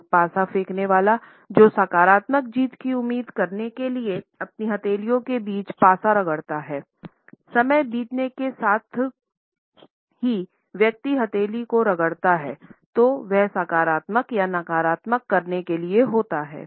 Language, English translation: Hindi, A dice thrower who rubs the dice between his palms in order to expect a positive winning streak; over the passage of time the speed with which a person rubs the palm together has come to indicate a positivity or a negativity